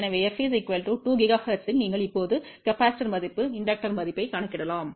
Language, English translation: Tamil, So, at f equal to 2 gigahertz you can now calculate the value of the inductor, the value of the capacitor